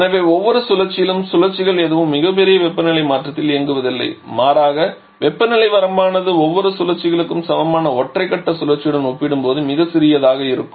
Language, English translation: Tamil, And therefore each of the cycle none of the cycles are operating over a very large temperature change rather the temperature range correspond each of the cycles are much smaller compared to an equivalent single phase cycle